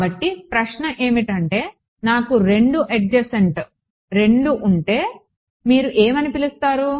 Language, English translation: Telugu, So, the question is that if I have 2 adjacent 2 adjacent what do you call